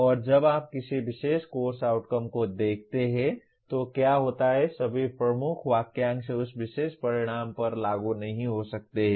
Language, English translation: Hindi, And what happens when you look at a particular Course Outcome, all the key phrases may not be applicable to that particular stated outcome